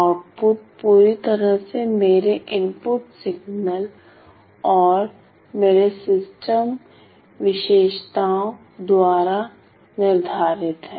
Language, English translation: Hindi, The output is completely it is completely determined it is completely determined by my input signal and my system characteristics